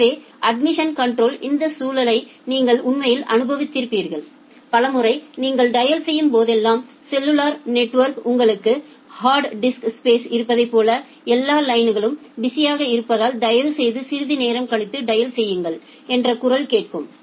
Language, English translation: Tamil, So, you have actually experienced this context of admission control, many of the time whenever you are dialing over say the cellular network you have hard disk space like all lines are busy please dial after sometime